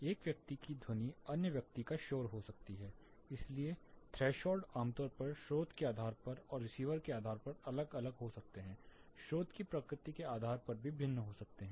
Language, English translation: Hindi, One person sound can be other person’s noise, so the threshold typically varies depending on the source depending on the path and depending on the receiver, the nature of source as well